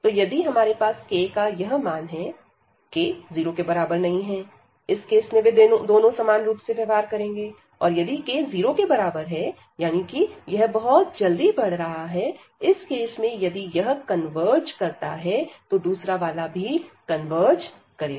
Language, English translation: Hindi, So, we have if this value is k, and in that case if k is not equal to 0, they both will behave the same and if k comes to be equal to 0 that means, this is growing much faster; in that case if this converges, the other one will also converge